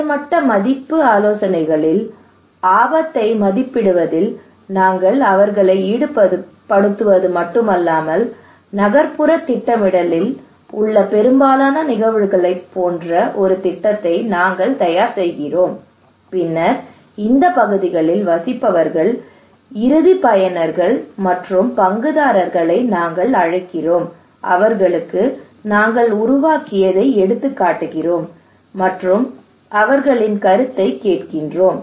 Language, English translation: Tamil, In little higher level value consultations we not only involve them in assessing the risk, estimating the risk but we prepare a plan most of the cases in urban planning we prepare the plan and then those who are living in this areas those who are the citizens or the stakeholders we invite them, and we show them, hey we prepared this plan now tell us this plan is good or not